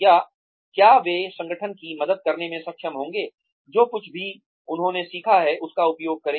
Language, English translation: Hindi, Or, will they be able to help the organization, use whatever, through whatever, they have learnt